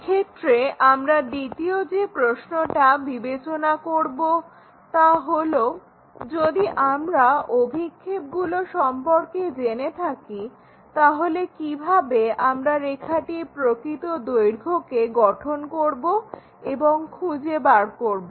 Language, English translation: Bengali, The second question what we will ask is in case if we know the projections, how to construct find the true length of that line